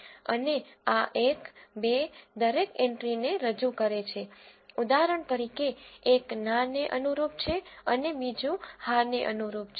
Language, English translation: Gujarati, And this one two represents each entry for example one corresponds to no and two corresponds to yes and so on